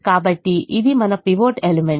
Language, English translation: Telugu, so this is our pivot element